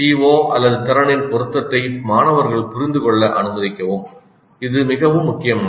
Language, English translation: Tamil, Allow students to understand the relevance of the COO or the competency